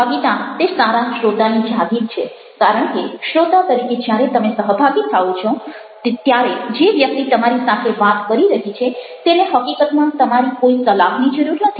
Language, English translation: Gujarati, the element and sharing is something which which is an asset to a good listener, because when you share as a listener, the person who is talking to need not actually wants some advice from you, any advice from you